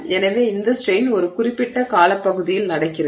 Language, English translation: Tamil, So, this strain is happening over a period of time, right